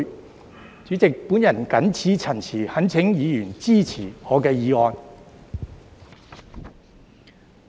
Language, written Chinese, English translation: Cantonese, 代理主席，我謹此陳辭，懇請議員支持我的議案。, With these remarks Deputy President I earnestly urge Members to support my motion